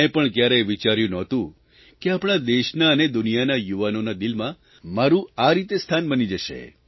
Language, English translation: Gujarati, I had never thought that there would be an opportunity in my life to touch the hearts of young people around the world